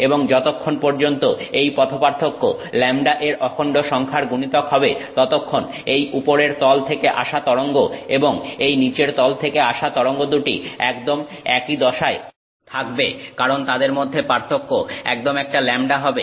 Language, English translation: Bengali, And as long as the path difference is an integral multiple of lambda, then the wave that is coming off the top surface and the wave that is coming off the bottom surface are exactly in phase because one lambda the difference between them is exactly one lambda